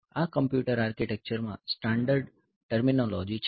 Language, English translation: Gujarati, So, this is a standard terminology in computer architecture